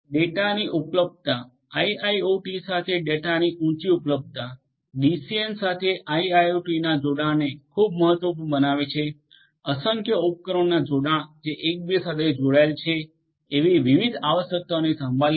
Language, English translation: Gujarati, Availability of the data high availability of the data with IIoT will make the connectivity of IIoT with DCN very important, taking care of different requirements such as connectivity of in innumerable number of devices which are interconnected